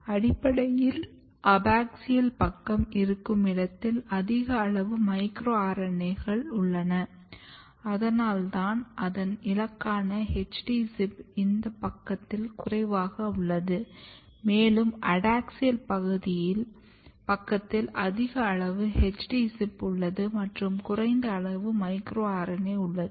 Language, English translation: Tamil, So, if you look this side which is basically abaxial side and what happens that you have high amount of micro RNAs and that is why its target which is HD ZIP is low at this side, and if you look towards the adaxial side, it is having high amount of HD ZIP and low amount of micro RNA